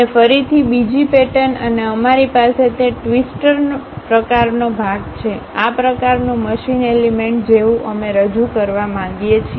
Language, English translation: Gujarati, And again another pattern and we have that twister kind of portion, such kind of machine element we would like to really represent